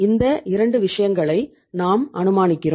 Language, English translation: Tamil, We are assuming these 2 things